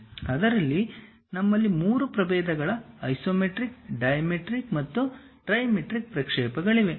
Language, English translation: Kannada, In that we have 3 varieties isometric, dimetric and trimetric projections